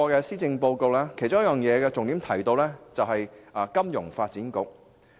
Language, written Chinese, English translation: Cantonese, 施政報告的重點之一，是香港金融發展局。, The Financial Services Development Council Hong Kong FSDC is a highlight of the Policy Address